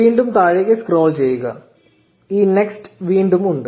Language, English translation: Malayalam, Scroll down to the bottom again and there is this next again